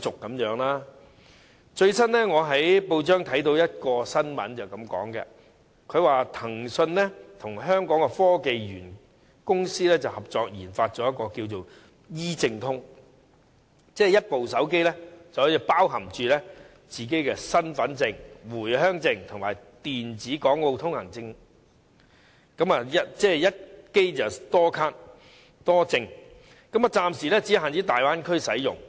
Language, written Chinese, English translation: Cantonese, 我最近在報章讀到一則新聞，指騰訊與香港科技園公司合作研發 "E 證通"，以一部手機包含身份證、回鄉證及電子往來港澳通行證，即一機多卡多證，暫時只限大灣區使用。, A press report I read recently says that Tencent has joined hands with the Hong Kong Science and Technology Parks Corporation and developed a Tencent e - pass for storing the identity card the Home Visit Permit and also the electronic Exit - entry Permit for Travelling to and from Hong Kong and Macao in just a mobile phone . This is known as multiple identifications in one device and it is exclusive to the Bay Area for the time being